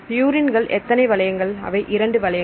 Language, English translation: Tamil, So, purine has how many rings two rings and pyrmidines has